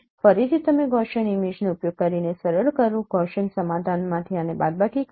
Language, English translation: Gujarati, Again you smooth using the Gaussian image, Gaussian convolution subtract this one from this one